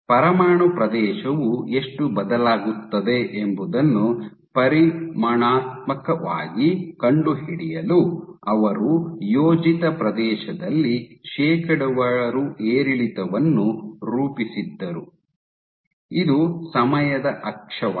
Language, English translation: Kannada, So, to quantitatively detect how much does the nuclear area change what they did was they plotted the percentage fluctuation in the area the projected area and so this is your time axis